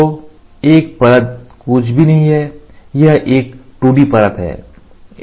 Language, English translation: Hindi, So, one layer is nothing, but a 2D layer